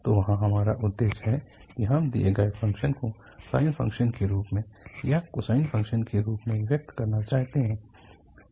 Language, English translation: Hindi, So there we have the objective that the given function we want to express in terms of the sine function or in terms of the cosine functions